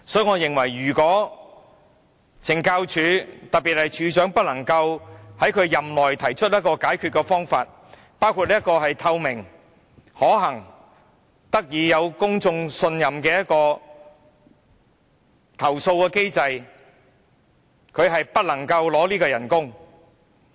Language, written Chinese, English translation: Cantonese, 我認為，如果署長無法在任內提出解決方法，包括制訂透明可行而獲得公眾信任的投訴機制，他便不應領取薪金。, In my view if the Commissioner fails to propose any solution within his terms of office including the formulation of a transparent and practicable redress mechanism that commands peoples trust he should not receive any remuneration